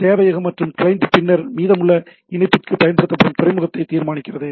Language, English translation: Tamil, The server and the client then determine the port that will use for the rest of the connection